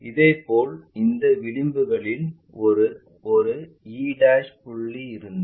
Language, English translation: Tamil, Similarly, if this edge one of the thing this e' point